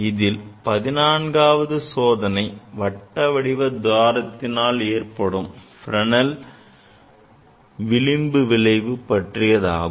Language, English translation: Tamil, The 14th experiment here is basically demonstration of Fresnel diffraction due to circular aperture